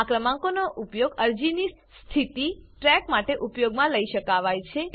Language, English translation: Gujarati, This number can be used for tracking the status of the application